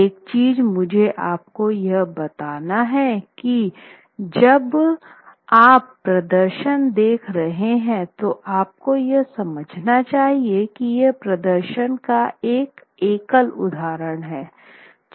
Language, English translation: Hindi, Now one thing that I must tell you is that when you are looking at the performance you must understand that that performance is a single instance